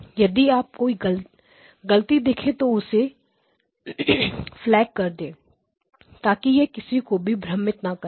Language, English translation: Hindi, If you spot a mistake, please flag it so it will not confuse everybody